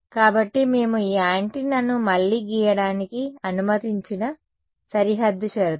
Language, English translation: Telugu, So, the boundary conditions that we have let us redraw this antenna over here